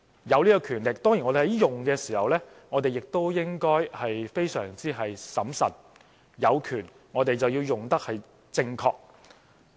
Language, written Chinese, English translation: Cantonese, 擁有這種權力，我們運用時當然也應該非常審慎，有權便應正確運用。, We possess this power on the one hand but on the other hand we should be very prudent in using it and use it properly